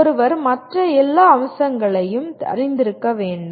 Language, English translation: Tamil, One should be aware of all the other facets